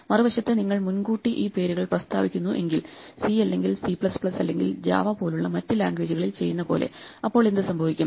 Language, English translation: Malayalam, On the other hand if you declare these names in advance which happens in other languages like C or C++ or Java